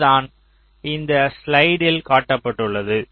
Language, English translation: Tamil, ok, fine, so this is exactly what is shown in this slide